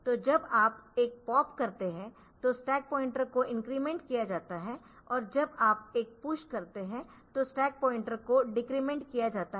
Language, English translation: Hindi, So, when you do a pop then the stack pointer is incremented, when you do a push stack pointer is decremented